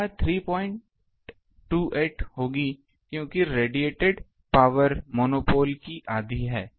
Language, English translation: Hindi, 28, because the radiated power is half of the monopole ok